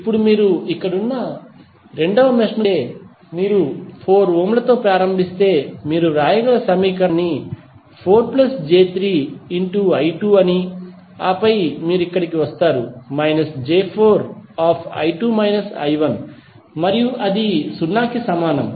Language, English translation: Telugu, Now, if you see this the second mesh the equation you can write if you start with 4 ohm you can say 4 into I 2 plus 3j into I 2 and then you come here minus 4j into I 2 minus I 1 and that would be equal to 0